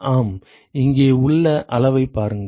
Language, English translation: Tamil, Yeah, look look at the quantities here